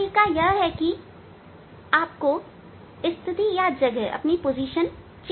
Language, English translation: Hindi, now procedure is you must change, you have to change the position